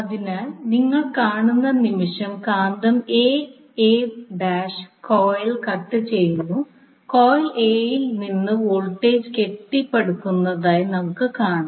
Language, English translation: Malayalam, So, when the moment you see the, the magnet is cutting phase a coil, so, that is a a dash coil we will see that the voltage is being building up in the coil A